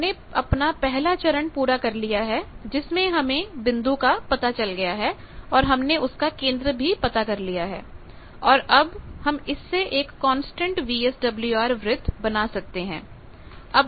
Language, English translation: Hindi, So, let us come back that we have done the first step we have located, now I know the centre I have located this point I can draw this circle this is the constant VSWR circle